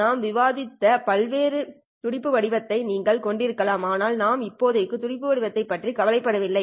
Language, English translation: Tamil, You can have various pulse shapes which we have discussed but for now we are not even bothered with the pulse shape